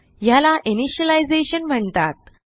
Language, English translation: Marathi, This is called as initialization